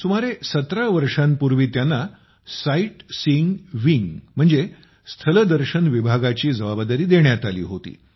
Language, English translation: Marathi, About 17 years ago, he was given a responsibility in the Sightseeing wing